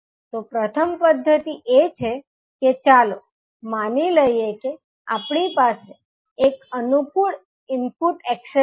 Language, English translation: Gujarati, So, first method is that let us assume that the, we have one convenient input access